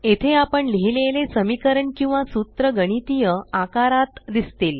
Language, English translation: Marathi, This is where the equations or the formulae we write will appear in the mathematical form